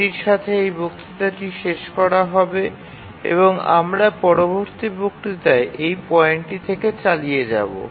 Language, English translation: Bengali, With this we'll just conclude this lecture and we'll continue from this point in the next lecture